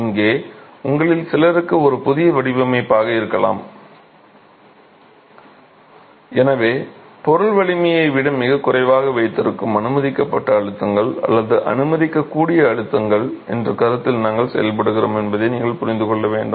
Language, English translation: Tamil, Here, this may be a new method of design for few of you and hence it is essential that you understand that we work on this concept of permissible stresses or allowable stresses which are kept far below the material strength and we work on those ratios